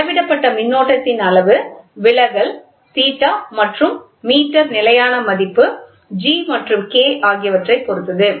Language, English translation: Tamil, The value of the measured quantity current depends on the deflection theta and the meter constant G and K